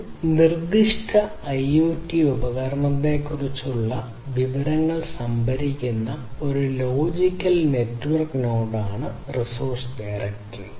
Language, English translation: Malayalam, So, a resource directory is a logical network node that stores the information about a specific set of IoT devices